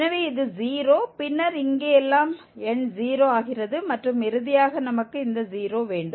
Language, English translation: Tamil, So, this is 0, then everything here, numerator becomes 0 and finally we have this 0